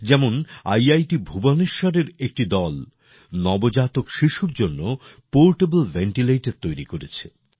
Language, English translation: Bengali, For example, a team from IIT Bhubaneswar has developed a portable ventilator for new born babies